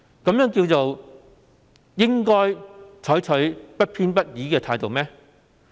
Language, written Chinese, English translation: Cantonese, 這叫做"採取不偏不倚的態度"嗎？, Can this attitude still be regarded as impartial?